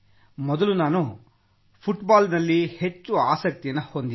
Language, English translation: Kannada, Earlier we were more into Football